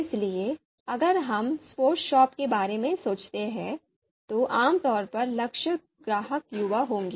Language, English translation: Hindi, So if we think about the sports shop, so typically the targeted customer would be youth